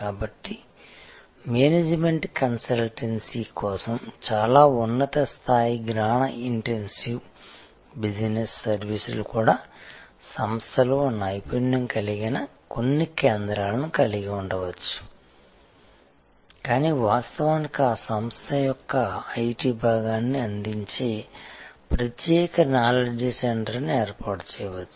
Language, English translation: Telugu, So, even very high end knowledge intensive business services, while for management consultancy may retain certain centres of expertise within the organization, but quite likely may actually set up a separate knowledge centre which will provide fundamentally the IT part of that organization